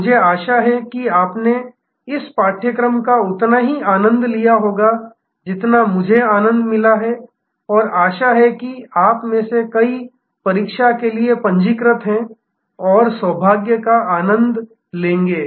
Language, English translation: Hindi, I hope you enjoyed this course as much as I enjoyed and hope to see many of you registered for the examination and enjoy good luck